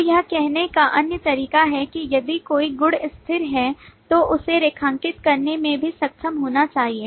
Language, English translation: Hindi, So the other way to say if a property is static is also to be able to underline that